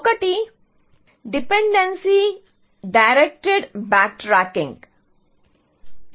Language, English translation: Telugu, One is called Dependency Directed Back Tracking